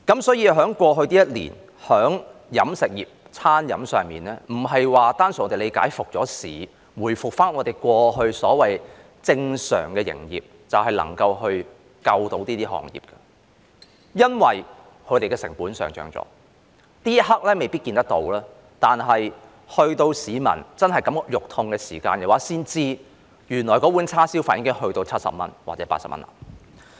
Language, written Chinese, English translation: Cantonese, 所以，對於過去一年飲食業的處境，不能單純地理解，餐飲復市、回復我們過去所謂正常的營業，便能拯救這行業，因為他們的成本已上漲；這一刻未必可看到，但直到市民真的肉痛時，才知道原來一碗叉燒飯已漲價至70元或80元。, Therefore regarding the situation of the catering industry in the past year we cannot be so simple as to think that resumption of the catering business to what we called normal operation in the past will save the industry because the costs have already risen . It may not be noticeable at this moment but members of the public will really feel the pain when they later realize that the price of a bowl of rice with barbecued pork has surged to 70 or 80